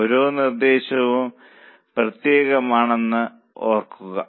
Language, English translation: Malayalam, Remember each proposal is separate